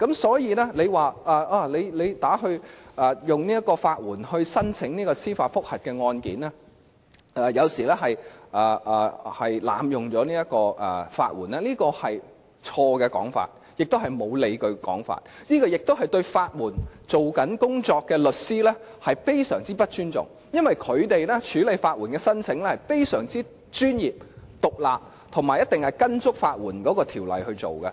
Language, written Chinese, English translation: Cantonese, 所以，如果說向法援申請提出司法覆核案件有時是濫用法援，這是錯誤的說法，也是欠缺理據的說法，更是對正在處理法援案件的律師極不尊重，因為他們是非常專業和獨立地處理法援申請，以及必定依足法援條例行事。, Therefore if it is said that people applying for legal aid to initiate judicial review proceedings have sometimes abused the legal aid system such a remark is wrong unjustifiable and even amounts to gross disrespect to lawyers who are handling the legal aid cases because they have been handling applications for legal aid in a most professional independent manner and definitely in full compliance with the legislation on legal aid